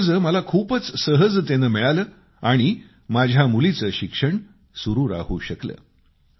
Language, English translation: Marathi, I needed to take a bank loan which I got very easily and my daughter was able to continue her studies